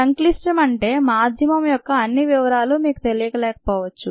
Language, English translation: Telugu, complex means you may not know all the details of the medium ah